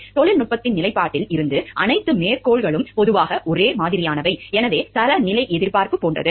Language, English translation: Tamil, All of the quotations are generally similar in most respects from the standpoint of technology, so that is the standard like expectation